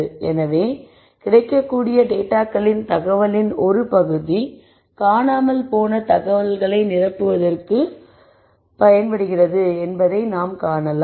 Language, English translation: Tamil, So, we see that given part of the information which is the data that is available fill the missing information